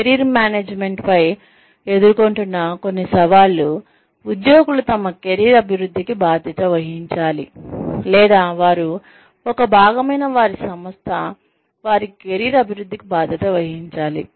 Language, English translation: Telugu, Some of the challenges, that any discussion on Career Management faces is, should employees be responsible, for their own career development, or should the organization, that they are a part of, be responsible for their career development